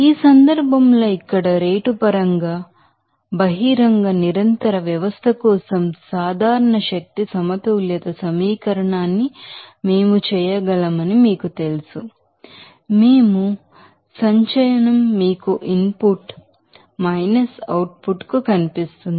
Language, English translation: Telugu, Now, from this you know terms we can make the general energy balance equation for an open continuous system, in terms of rate just by here in this case, we do that accumulation will visible to you input output